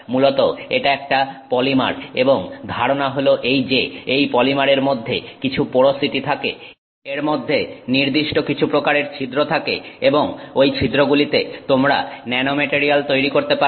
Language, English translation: Bengali, Basically it's a polymer and the idea is that that polymer has some porosity in it, certain type of pores in it and in that pores, in those pores you can grow the nanomaterial